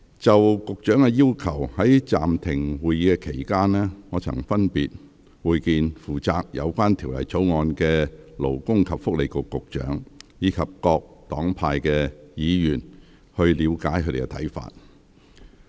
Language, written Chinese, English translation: Cantonese, 就局長的要求，在暫停會議期間，我曾分別會見負責有關《條例草案》的勞工及福利局局長，以及各黨派議員，以了解他們的看法。, During the period when the meeting was suspended I had met with the Secretary for Labour and Welfare who is in charge of the Bill as well as Members of different political parties and groupings respectively to gauge their views on the Secretarys request